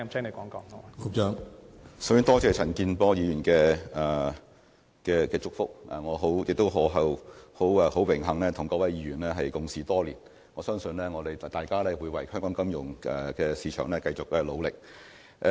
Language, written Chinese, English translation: Cantonese, 首先，多謝陳健波議員的祝福，我也很榮幸能夠與各位議員共事多年，相信大家仍會為香港的金融市場繼續努力。, First of all I thank Mr CHAN Kin - por for his blessing and I am also very honoured to work with Honourable Members for so many years . I believe we will all continue to work hard for Hong Kongs financial market